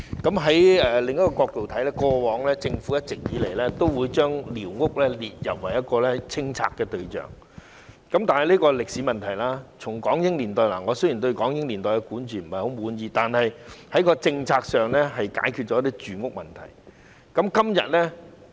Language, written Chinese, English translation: Cantonese, 從另一個角度來看，政府一直以來都將寮屋列入清拆對象，但這是歷史問題，雖然我對港英年代的管治不太滿意，但政策上是解決了住屋問題。, From another perspective squatters have always been listed among the targets of clearance operations by the Government . Nevertheless this is a historical issue . Despite the fact that I am quite dissatisfied with the governance during the British Hong Kong era their policy has solved the housing problem